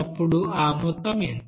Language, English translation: Telugu, Then what will be the amount